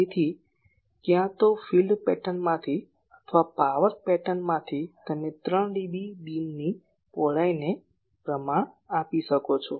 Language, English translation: Gujarati, So, either from the field pattern or from the power pattern, you can quantify the 3 d B beam width